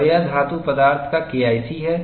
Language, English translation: Hindi, And this is K1C of metallic materials